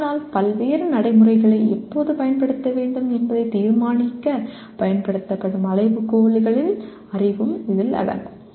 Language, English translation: Tamil, But it also includes the knowledge of criteria used to determine when to use various procedures